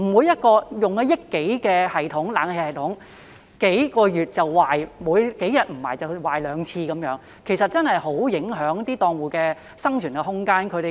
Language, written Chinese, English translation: Cantonese, 一個花了1億多元的冷氣系統在數個月內便出現故障，在數天內已出現兩次故障，這確實很影響檔戶的生存空間。, An air - conditioning system costing more than 100 million has broken down just after a few months and even broken down twice within a few days which greatly affects the room of survival of the stallholders